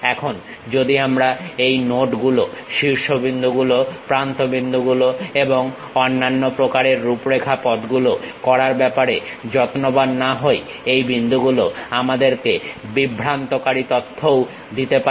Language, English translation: Bengali, Now, if we are not careful in terms of tracking these nodes, vertices, edges and other kind of configuration, the same points may give us a misleading information also